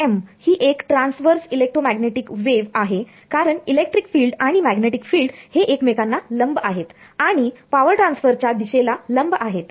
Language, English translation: Marathi, TEM its a Transverse Electromagnetic wave because the electric field and magnetic field are perpendicular to each other and they are perpendicular to the direction of power transfer